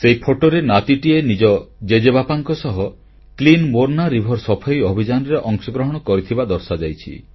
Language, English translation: Odia, The photo showed that a grandson was participating in the Clean Morna River along with his grandfather